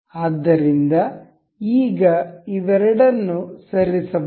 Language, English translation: Kannada, So, now both both of them can be moved